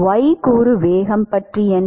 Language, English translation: Tamil, What about y component velocity y component velocity